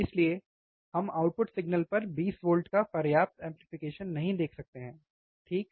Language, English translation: Hindi, So, we cannot see enough amplification of 20 volts at the output signal, alright so, that is the reason